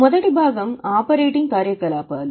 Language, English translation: Telugu, The first part is operating activities